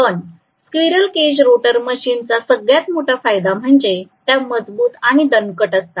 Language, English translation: Marathi, But squirrel cage rotor machine has the biggest advantage of being rugged